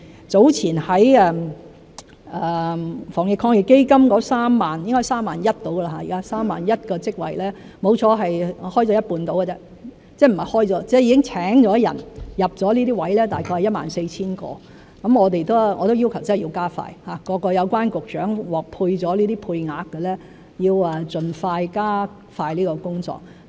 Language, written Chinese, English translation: Cantonese, 早前在防疫抗疫基金的 31,000 個職位中，已聘請並入職的只有一半左右，大約有 14,000 個，我已要求加快，各有關局長獲配了這些配額的要盡快加快這個工作。, Of the 31 000 jobs proposed earlier under the Ant - epidemic Fund only about half of them about 14 000 have been recruited and taken up . I have requested that work be expedited and the relevant Directors of Bureaux being allocated with these quotas have to speed up this area of work expeditiously